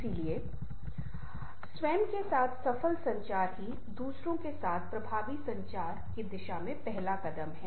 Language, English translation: Hindi, so the first step towards effective communication with others, successful communication with yourself